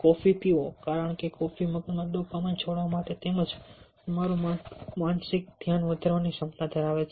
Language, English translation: Gujarati, drink coffee, because coffee is known to release dopamine in to the brain as well as having the ability to increase your mental focus